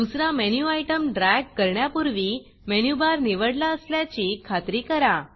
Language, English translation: Marathi, Make sure the Menu Bar is selected before you drag another Menu Item here